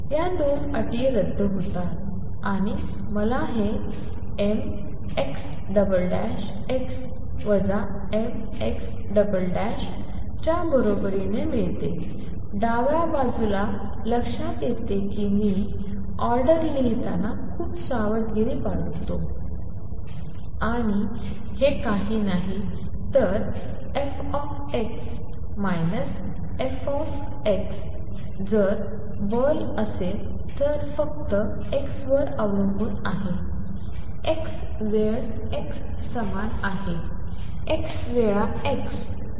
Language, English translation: Marathi, These 2 terms cancel and I get this equal to m x double dot x minus m x double dot x, on the left hand side notice that i am being very careful in writing the order and this is nothing but the force x times x minus x force x if force depends only on x, x time x is same as x times x